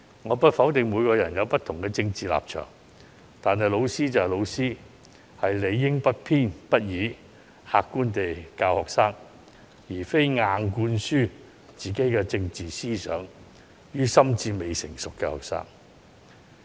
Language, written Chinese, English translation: Cantonese, 我不否定每個人皆有不同的政治立場，但老師就是老師，理應不偏不倚，客觀地教導學生，而不是將自己的政治思想硬灌輸予心智未成熟的學生。, I do not deny that people may have different political stances but teachers are teachers . They should teach students in an impartial and objective manner instead of forcibly imposing their own political ideas on students who are mentally immature